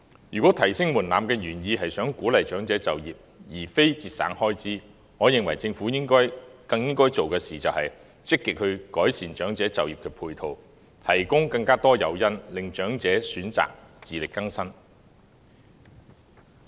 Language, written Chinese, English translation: Cantonese, 如果提升門檻的原意是想鼓勵長者就業，而非節省開支，我認為政府更應該做的事，就是積極改善長者就業的配套，提供更多誘因，令長者選擇自力更生。, If the original intent of raising the threshold was to encourage elderly people to take up employment rather than save expenditure I believe what the Government should do all the more now is to actively improve the complementary measures conducive to the employment of elderly people and provide more incentives so that elderly people will choose to be self - reliant